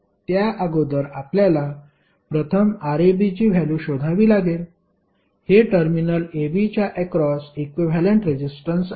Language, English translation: Marathi, Now before that we have to first find out the value of Rab, that is equivalent resistance across terminal AB